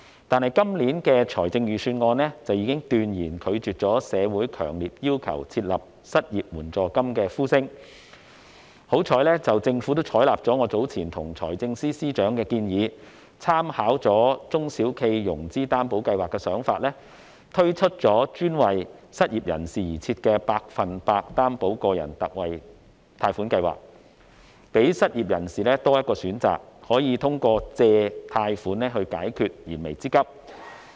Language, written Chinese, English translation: Cantonese, 但是，今年的財政預算案已經斷然拒絕社會強烈要求設立失業援助金的呼聲，幸好政府採納了我早前向財政司司長提出的建議，參考中小企融資擔保計劃的做法，推出專為失業人士而設的百分百擔保個人特惠貸款計劃，讓失業人士有多一個選擇，可以通過貸款解決燃眉之急。, However the call in the community for introducing unemployment assistance was rejected outright in the Budget this year . Fortunately the Government has adopted the proposal I earlier presented to the Financial Secretary to draw reference from the SME Financing Guarantee Scheme by introducing the Special 100 % Loan Guarantee for Individuals Scheme specifically caters to the unemployed . As a result the unemployed can have an additional option of applying for a loan to meet their imminent needs